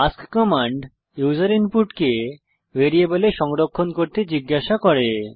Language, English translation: Bengali, ask command asks for user input to be stored in variables